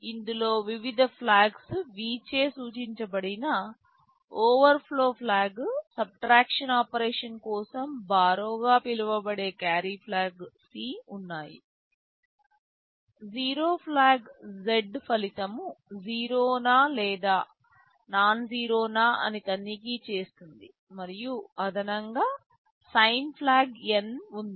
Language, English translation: Telugu, There is an overflow flag denoted by V, there is a carry flag C for subtract operation; you call it the borrow, there is a zero flag Z, it checks whether the result is zero or nonzero, and the sign flag N